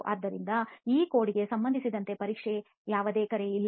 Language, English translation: Kannada, So there is no call for testing as far as this code is concerned